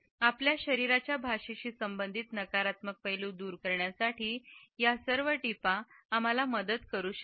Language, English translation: Marathi, These tips may help us in overcoming the negative aspects related with our body language